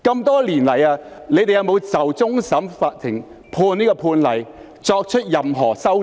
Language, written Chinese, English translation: Cantonese, 多年來，你們有否就終審法院的判例作出任何修訂？, Over the years have amendments been made in response to the judgment of the Court of Final Appeal CFA?